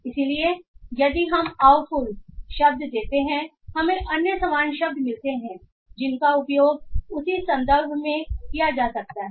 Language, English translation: Hindi, So if we give the word awful we find other similar words that can be used in same context as the word awful can be used